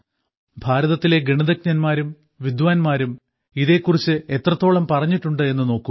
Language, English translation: Malayalam, Mathematicians and scholars of India have even written that